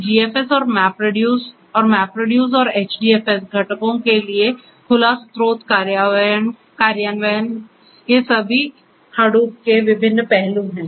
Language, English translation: Hindi, So, open source implementation for GFS and MapReduce and MapReduce and HDFS components, these are all the different aspects of Hadoop